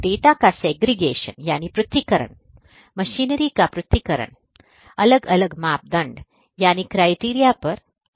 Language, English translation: Hindi, The segregation of the data, segregation of the machinery consequently based on different criteria are going to happen